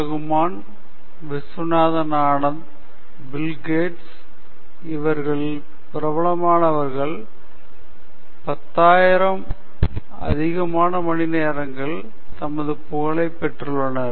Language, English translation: Tamil, Rahman, Viswanathan Anand, Bill Gates all these people put in 10,000 hours in their respective fields before they became famous